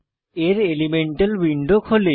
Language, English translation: Bengali, Now lets learn about Elemental window